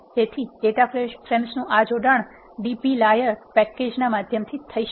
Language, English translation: Gujarati, And how to combine 2 data frames using the dplyr package